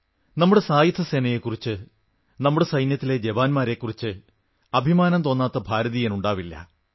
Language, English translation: Malayalam, There must be hardly any Indian who doesn't feel proud of our Armed Forces, our army jawans, our soldiers